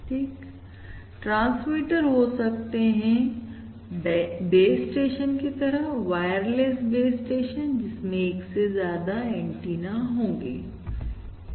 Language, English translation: Hindi, Right, so we can have transmitters such as the base stations, wireless base station, which is more than 1 antenna